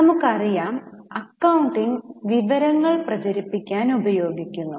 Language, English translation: Malayalam, Now, we know that accounting seeks to disseminate information